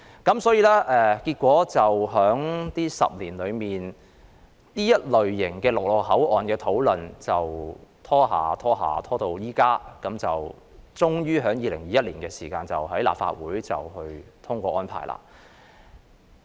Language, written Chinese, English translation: Cantonese, 如是者，在過去10年間，關乎這類陸路口岸的討論便拖延至今，當局最終在2021年才尋求立法會通過有關安排。, This explains why discussions on such land crossings spanning the past decade have been delayed until now and it is only in 2021 that the authorities try to seek the Legislative Councils endorsement of the relevant arrangements at long last